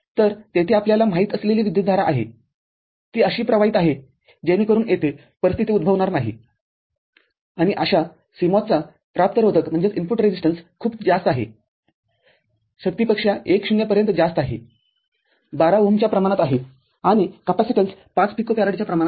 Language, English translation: Marathi, So, there was a current you know, flowing so that situation does not arise here and input resistance of such a CMOS is very high 1 0 to the power, of the order, 12 ohm and capacitance is of the order of 5 picofarad, this capacitance which will come in a form of a shunt